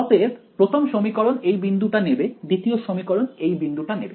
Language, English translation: Bengali, So, first equation will take this point second equation will take this point and so on